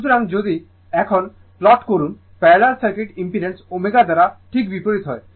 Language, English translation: Bengali, So, now if you plot now just opposite for parallel circuit impedance by omega